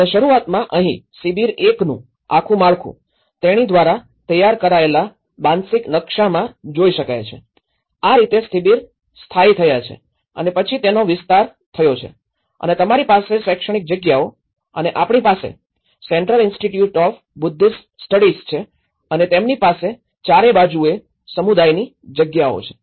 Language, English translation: Gujarati, And here also the whole setup of camp 1 and initially, this is from the mental map she could able to procure that, this is how the camps have settled and then later it has expanded and you have the educational spaces and we have the Central Institute of Buddhist Studies and they have the community spaces all around